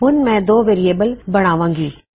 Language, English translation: Punjabi, So, I will have 2 variables